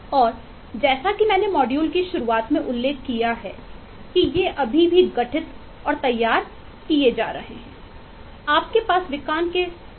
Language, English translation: Hindi, and as I mentioned at the beginning of the module is these are still being formed and formulated